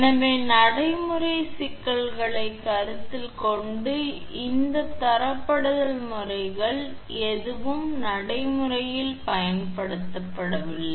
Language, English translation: Tamil, So, in view of practical difficulties neither of these methods of grading is used in practice